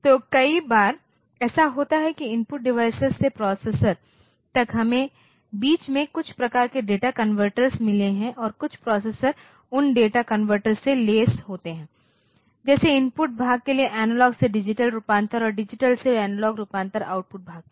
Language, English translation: Hindi, So, many times what happens is that from the input device to the processor, in between we have some sort of data converters and some of the processors are equipped with those data converters, like analogue to digital conversion for the input part and digital to analogue conversion for the output part